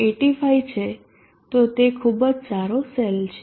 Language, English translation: Gujarati, 85 it is a very good cell